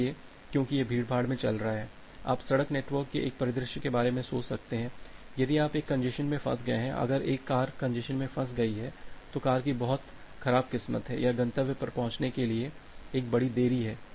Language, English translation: Hindi, So, because because it is flowing in the congestion, you can just think of a scenario in a road network, if you are falling in a congestion, if a car is falling in a congestion, so the car can have a very bad luck or have a huge delay to reach at the destination